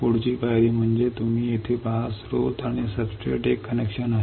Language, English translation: Marathi, Next step is you see here, there is a connection between source and the substrate right